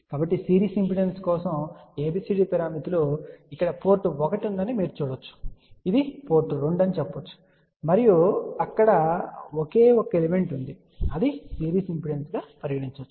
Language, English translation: Telugu, So, ABCD parameters for series impedance, so you can see here those are basically port 1 you can say this is port 2 and there is a only single element which is a series impedance